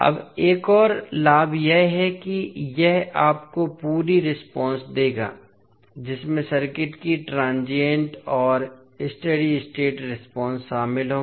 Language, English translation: Hindi, Now, another advantage is that this will give you a complete response which will include transient and steady state response of the circuit